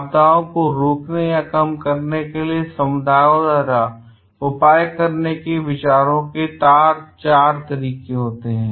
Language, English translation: Hindi, There are four sets of measures communities can take to avert or mitigate disasters